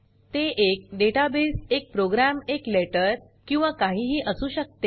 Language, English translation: Marathi, It can be a database, a program, a letter or anything